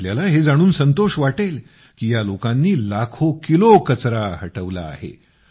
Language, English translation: Marathi, You will be surprised to know that this team has cleared lakhs of kilos of garbage